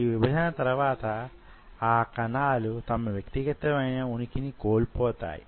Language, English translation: Telugu, After division, these cells lose their individual identity